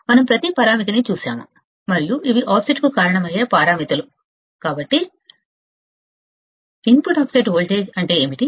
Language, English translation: Telugu, We have seen every parameter, and these are the parameters that will cause the offset, So, what is input offset voltage